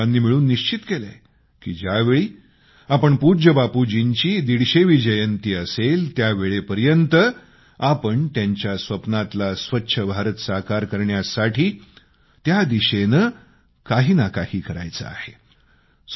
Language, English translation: Marathi, And, all of us took a resolve that on the 150th birth anniversary of revered Bapu, we shall make some contribution in the direction of making Clean India which he had dreamt of